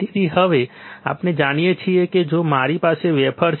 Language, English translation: Gujarati, So, now we know that if we have a wafer